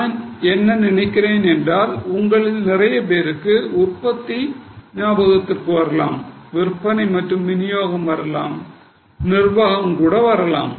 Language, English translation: Tamil, I think most of you are getting it can be production, it can be selling and distribution, it can be administration and so on